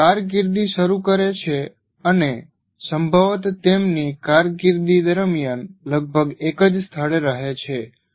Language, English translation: Gujarati, They just start and possibly almost stay at the same place throughout their career